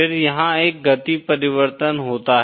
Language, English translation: Hindi, Then, there is a speed change